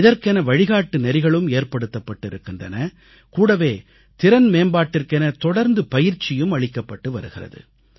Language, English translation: Tamil, They have issued guidelines; simultaneously they keep imparting training on a regular basis for capacity building